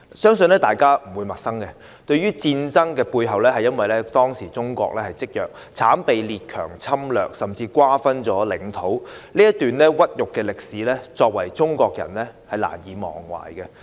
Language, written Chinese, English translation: Cantonese, 相信大家不會陌生，這場戰爭背後，是由於當時中國積弱，慘被列強侵略甚至瓜分領土，這段屈辱歷史，中國人難以忘懷。, I believe we are no strangers to the fact that in the background of this War China was weak then and it was invaded with its territory even divided up by the foreign powers . This humiliating period of history is unforgettable to Chinese people